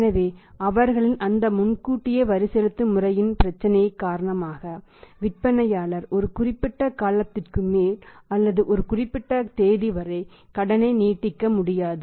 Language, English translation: Tamil, so, because of their problem of that advance tax payment system seller cannot extend the credit beyond a particular period or be on a particular date